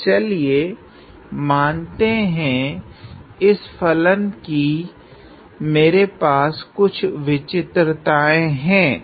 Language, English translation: Hindi, So, that let us say I have some singularities of this function